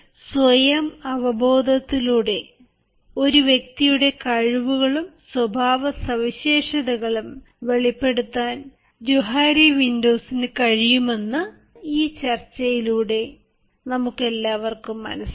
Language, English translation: Malayalam, friends, all of us with this discussion have come to understand that johari windows can help us in unraveling the various skills or the various aspects of individuals behaviour through some self awareness